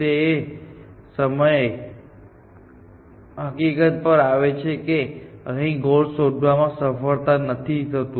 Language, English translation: Gujarati, comes on the fact that after it is fail to find a goal here